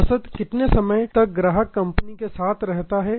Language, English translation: Hindi, How long an average to customers remain with the company